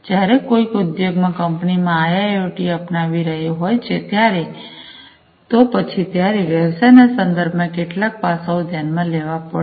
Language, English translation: Gujarati, When somebody is adopting IIoT in the company in the industry, then there are certain aspects with respect to the business, they are that will have to be considered